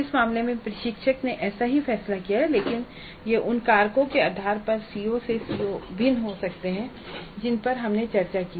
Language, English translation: Hindi, In this case the instructor has decided like that but it can vary from CO to CO based on the factors that we discussed